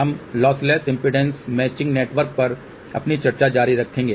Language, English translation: Hindi, We will continue our discussion on lossless impedance matching network